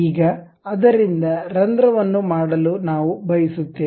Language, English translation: Kannada, Now, we would like to make a hole out of that